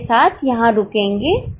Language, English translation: Hindi, With this we'll stop here